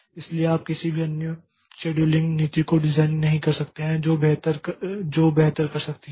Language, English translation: Hindi, So, you cannot design any other scheduling policy which can be doing better than that